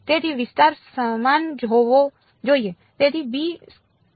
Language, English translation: Gujarati, So, the area should be the same